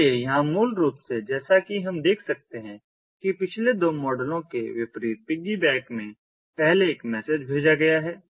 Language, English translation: Hindi, so here, basically, as we can see, first, a message is sent in piggyback, in contrast to the previous two models